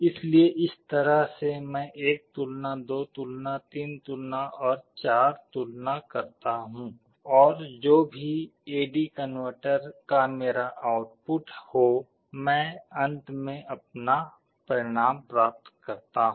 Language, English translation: Hindi, So, in this way I make 1 comparison, 2 comparison, 3 comparison and 4 comparison and I get finally my result whatever will be my output of the A/D converter